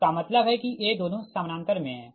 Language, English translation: Hindi, that means these two are in parallel